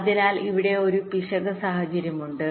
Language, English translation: Malayalam, so there is an error situation here